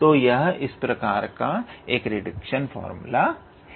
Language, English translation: Hindi, So, this is one such reduction formula